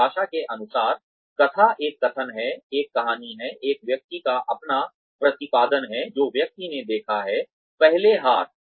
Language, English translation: Hindi, Narrative by definition, is a narration, is a story, is a person's own rendition, of what the person has observed, first hand